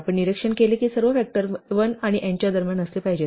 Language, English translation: Marathi, So, we observed that all the factors must lie between 1 and n